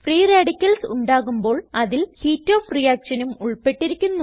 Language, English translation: Malayalam, Formation of free radicals involves heat in the reaction